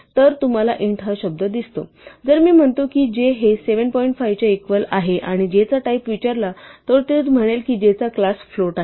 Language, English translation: Marathi, So, you see the word int, if i say j is equal to 7 point 5 and i ask for the type of j then it will say j is of class float